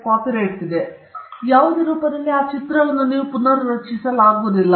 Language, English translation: Kannada, So you cannot create that image in any other form